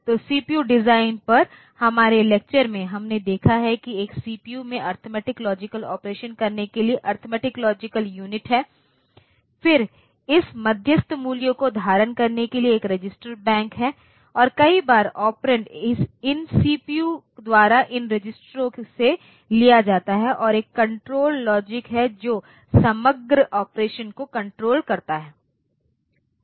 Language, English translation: Hindi, So, in our lectures on CPU design, we have seen that a CPU consists of essentially one arithmetic logic unit for doing the arithmetic logic operations, then there is a register bank to hold this intermediary values and many a times the operands are taken from these registers by the CPU by the ALU and there is a control logic which controls the overall operation